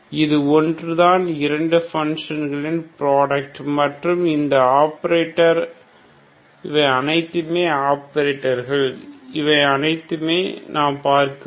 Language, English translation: Tamil, So these are two functions product of two functions and this is the operator so this is all we have to look at it